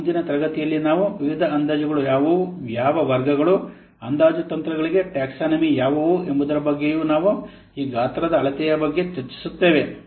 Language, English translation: Kannada, And in the next class we will discuss what are the various estimation, what are the categories of what are the taxonomy for the estimation techniques